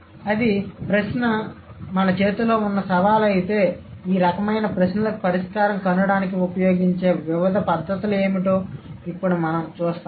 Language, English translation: Telugu, And if that's the question or that's a challenge that we have in hand, now we will see what are the different methods which have been used to, let's say, to find out a solution for these kinds of questions